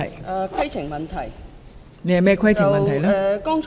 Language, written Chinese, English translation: Cantonese, 我想提出規程問題。, I have a point of order